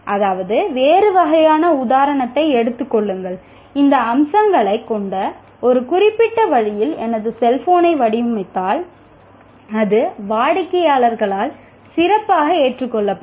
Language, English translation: Tamil, That means, if I take a different type of example, if I design my cell phone in a particular way having these features, it is likely to be accepted by the customer better